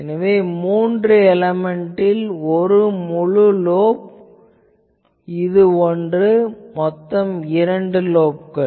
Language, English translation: Tamil, You see three element, so this is one full lobe; this is one, so two lobes